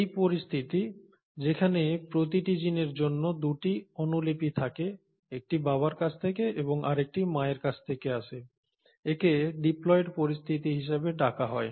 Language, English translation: Bengali, Now, this situation where, for every gene, you have 2 copies one from father and one from mother is called as a diploid situation